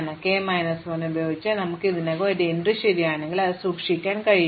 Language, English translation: Malayalam, So, if I already got an entry true with k minus 1, then I can keep it